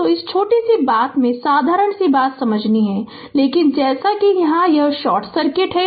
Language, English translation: Hindi, So, this is ah this little bit thing we have to understand simple thing, but as it is short circuit